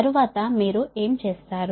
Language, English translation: Telugu, right now, what, what will do